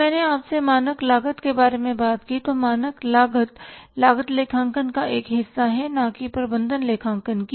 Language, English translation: Hindi, When I talk to you about the standard costing, standard costing is the part of the cost accounting not of the management accounting